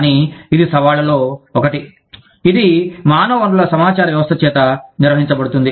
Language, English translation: Telugu, But, this is one of the challenges, that is dealt with by the, HR information systems